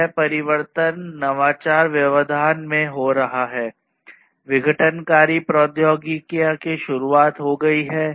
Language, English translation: Hindi, This change has been in innovation disruption; disruptive technologies have been introduced